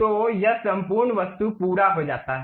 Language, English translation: Hindi, So, this entire object is done